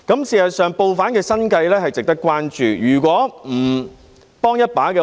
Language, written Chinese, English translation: Cantonese, 事實上，報販的生計是值得關注的。, In fact the livelihood of newspaper hawkers deserves our concern